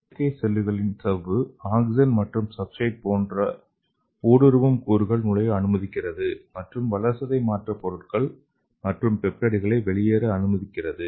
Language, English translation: Tamil, And the membrane of the artificial cells allow the permeate molecules such as oxygen and substrates to enter and allow metabolic products and peptides and other materials to leave